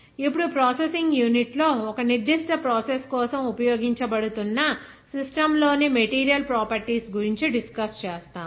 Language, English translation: Telugu, Now, we will discuss about the properties of the material in the system that are being used for a particular process in a processing unit